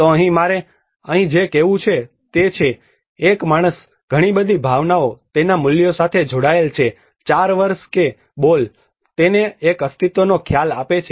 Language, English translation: Gujarati, So here what I want to say here is, a man is attached with a lot of emotions, its values, 4 years that ball has given him a sense of being